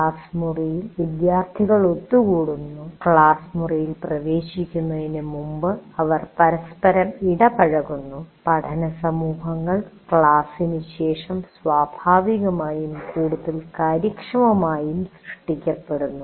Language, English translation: Malayalam, And because in a classroom students are gathering and they are interacting with each other prior before getting into the classroom and after the classroom, the learning communities can get created naturally and more easily